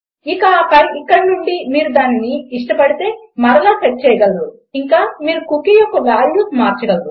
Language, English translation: Telugu, And then from here you can set it again if you like and you can change the values of the cookie